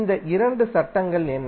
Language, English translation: Tamil, What are these two laws